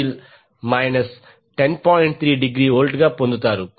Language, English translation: Telugu, 3 degree volt